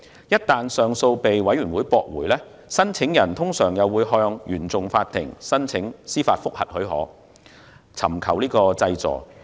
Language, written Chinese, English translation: Cantonese, 一旦上訴申請被上訴委員會駁回，申請人通常會向原訟法庭申請司法覆核許可，以尋求濟助。, Once an appeal has been rejected by TCAB the claimant will normally apply to CFI for a judicial review permit and seek relief